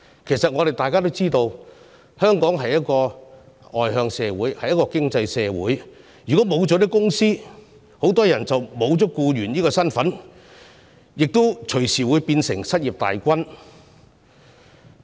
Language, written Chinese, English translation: Cantonese, 其實大家都知道，香港是一個外向型經濟，如果沒有企業，很多人便會失去僱員這身份，變成失業大軍成員。, In fact we all know that Hong Kong is an externally - oriented economy . If there is no enterprise many people will no longer be employees and will join the unemployed population